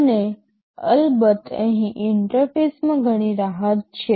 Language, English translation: Gujarati, And of course, here there is lot of flexibility in the interface